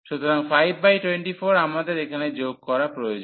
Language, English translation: Bengali, So, 5 by 24 we need to add here